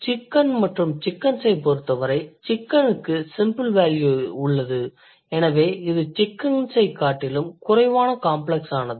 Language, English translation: Tamil, In case of chicken and chickens, chicken has a simpler value, so it is less complex than chickens